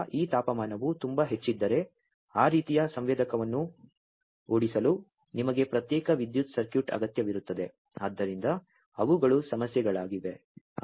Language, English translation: Kannada, So, if this temperature is too high you need a separate power circuit to drive those kind of sensor so those are the issues